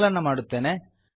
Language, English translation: Kannada, Ill compile it